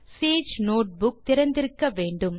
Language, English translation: Tamil, Have your Sage notebook opened